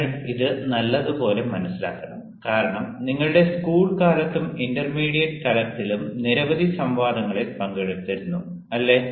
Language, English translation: Malayalam, you have to understand this very importantly, because all of you, during your school days, and even at the intermediate level, ah, you had been participating in several debate, isnt it